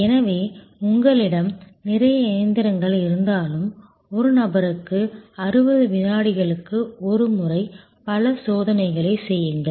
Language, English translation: Tamil, So, even if you have lot of machines etc doing number of tests at a time 60 second per person